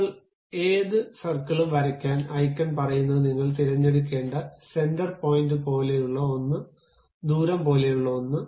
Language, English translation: Malayalam, Now, to draw any circle, the icon says that there is something like center point you have to pick, and something like a radius